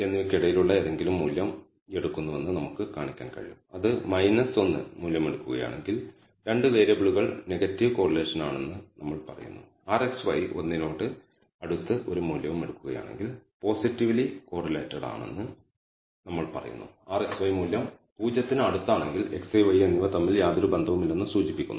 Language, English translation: Malayalam, Minus 1 if it takes a value we say that the 2 variables are negatively correlated if r xy takes a value close to one we say they are positively correlated, on the other hand if r xy happens to value close to 0 it indicates that x and y i have no correlation between them